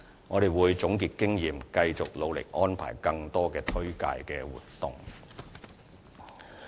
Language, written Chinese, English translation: Cantonese, 我們會總結經驗，繼續努力安排更多的推廣活動。, We will conclude past experience and keep making an effort to launch more promotional campaigns to this end